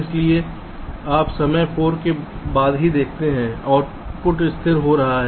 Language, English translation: Hindi, so you see, only after time four the output is getting stabilized